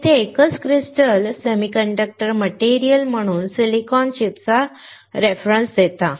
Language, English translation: Marathi, So, a single crystal here refers to a silicon chip as the semiconductor material